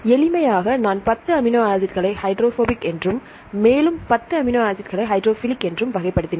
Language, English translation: Tamil, For simplicity, I classified 10 amino acids into hydrophobic, and another 10 in to hydrophilic